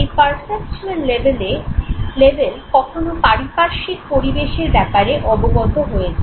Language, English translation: Bengali, At perceptual level one becomes aware of the immediate environment